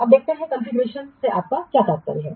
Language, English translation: Hindi, Now let's see what do you mean by a configuration